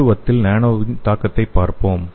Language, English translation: Tamil, So let us see the definition of nano pharmacology